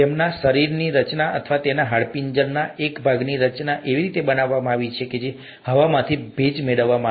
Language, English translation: Gujarati, Their body structure or their, the structure of a part of the skeleton is designed such that to, in such a way to capture the moisture from the air